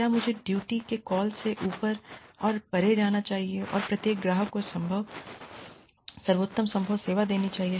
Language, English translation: Hindi, Should I go above and beyond the call of duty, and give every customer, the best possible service